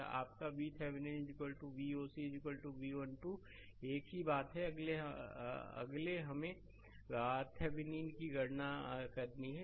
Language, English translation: Hindi, This is your V Thevenin is equal to V oc is equal to V 1 2 same thing, next is we have to compute R thevenin